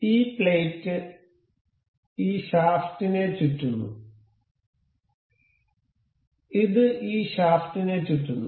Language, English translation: Malayalam, the This plate is rotating about this shaft; this is rotating about this shaft